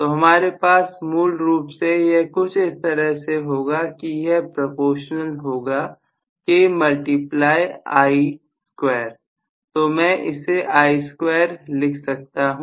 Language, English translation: Hindi, So, I am going to have essentially, this will be proportional to some K times I square